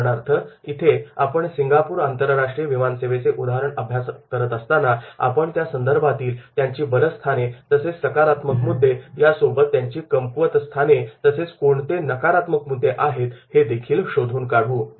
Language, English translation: Marathi, For example, here is Singapore International Airlines we will find out the strengths, what are the positive points of there and then weaknesses that what are the negative points are there